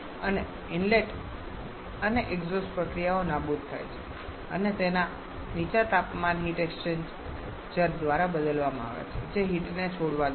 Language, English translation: Gujarati, And the inlet and exhaust processes are eliminated and substituted by a low temperature heat exchanger which is which is allowing the heat release